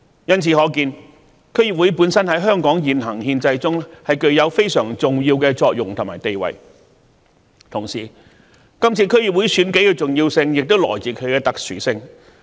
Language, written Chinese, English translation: Cantonese, 由此可見，區議會本身在香港現行憲制中具有非常重要的作用和地位，同時，今次區議會選舉的重要性亦來自其特殊性。, It can thus be seen that DC performs a very important role and has a very important status in the existing constitutional system of Hong Kong and in the meantime the importance of the DC Election this year also lies in some of its special features